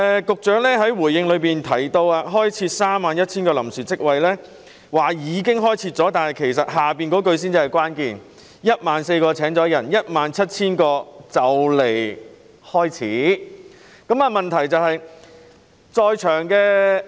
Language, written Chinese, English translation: Cantonese, 局長在主體答覆中表示，已開設31000個臨時職位，但後續部分才是關鍵所在："當中約14000個已入職，而餘下約17000個的招聘工作已經或快將展開"。, The Secretary stated in his main reply that 31 000 temporary jobs have been created but the subsequent part is material Among these jobs around 14 000 have been filled while the recruitment of the remaining 17 000 has already commenced or will commence shortly